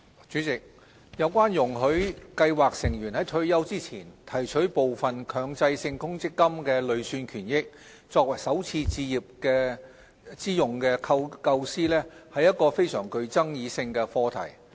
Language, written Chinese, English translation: Cantonese, 主席，有關容許計劃成員在退休前提取部分強制性公積金累算權益，作首次置業之用的構思，是個具爭議性的課題。, President the idea of allowing scheme members to withdraw part of their Mandatory Provident Fund MPF accrued benefits before attaining retirement age for first home purchase is controversial